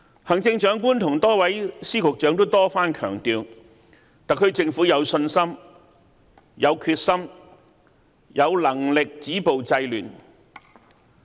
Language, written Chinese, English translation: Cantonese, 行政長官和多位司長、局長多番強調，特區政府有信心、有決心、有能力止暴制亂。, The Chief Executive and her Secretaries had reiterated for many times that the SAR Government had the confidence determination and capability to stop violence and curb disorder